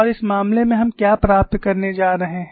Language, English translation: Hindi, And in this case what we you are going to get